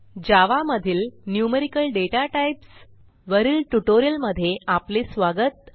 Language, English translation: Marathi, Welcome to the spoken tutorial on Numerical Datatypes in Java